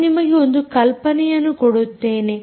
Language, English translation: Kannada, ok, i will give you an idea